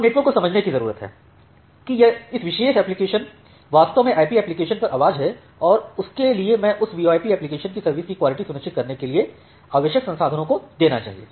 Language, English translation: Hindi, Now the network need to understand that this particular application is actually voice over IP application and for that I should give the required resources for ensuring quality of service of that VoIP application